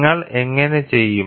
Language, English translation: Malayalam, So, how do you do